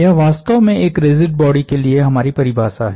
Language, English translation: Hindi, That is essentially our definition of a rigid body